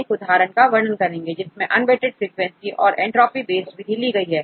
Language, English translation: Hindi, We discuss one example based on unweighted frequency and entropy based method